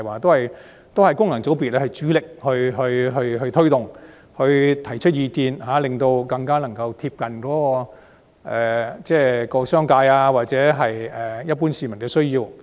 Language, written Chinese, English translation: Cantonese, 這些措施由功能界別主力推動及提出意見，令它們更貼近商界或一般市民的需要。, Such measures are primarily initiated by FCs which put forth to make them better meet the needs of the business sector or the general public